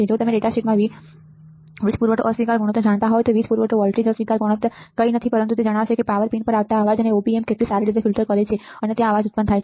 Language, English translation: Gujarati, If you know V in the datasheet there was a power supply rejection ratio the power supply voltage rejection ratio is nothing, but it will tell how about how well the Op amp filters out the noise coming to the power pins right, there is a noise generated in the power pins also